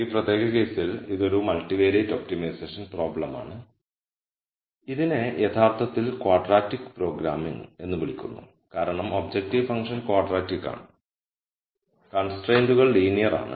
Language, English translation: Malayalam, In this particular case it is a multivariate optimization problem which is actually called quadratic programming and this is called quadratic programming because the objective function is quadratic and the constraints are linear